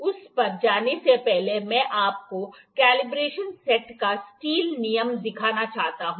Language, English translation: Hindi, Before going to that I like to show you the steel rule of the combination set